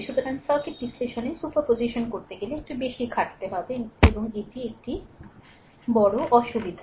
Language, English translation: Bengali, So, circuit analysis superposition may very lightly involved more work and this is a major disadvantage